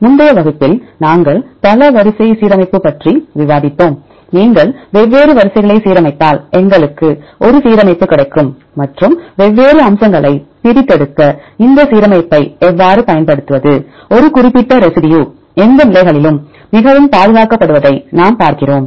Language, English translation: Tamil, In the previous class we discussed about the multiple sequence alignment and if you align different sequences we will get an alignment and how to utilize this alignment to extract different features, how far we see that a particular residue highly conserved right in any positions